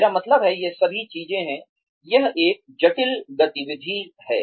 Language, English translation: Hindi, I mean, all of these things are, it is a complex activity